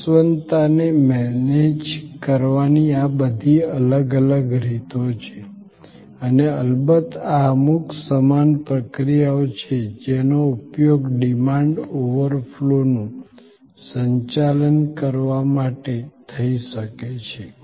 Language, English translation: Gujarati, These are all different ways of managing the perishability and of course, these are certain similar processes can be used to manage demand overflow